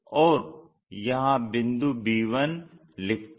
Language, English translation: Hindi, Let us call that is b'